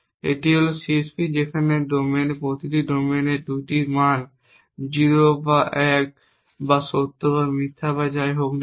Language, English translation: Bengali, It is the CSP in which the domains each domain has 2 values 0 or 1 or true or false or whatever